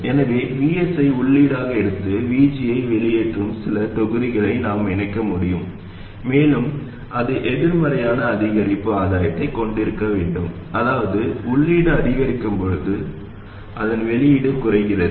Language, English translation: Tamil, So we can connect some block that takes VS as input and puts out VG and it must have a negative incremental gain meaning its output reduces as the input increases